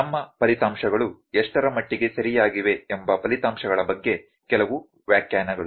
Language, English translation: Kannada, Some interpretation about the results that are to what extent are our results correct